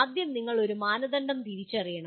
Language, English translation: Malayalam, And first thing is you have to identify a criteria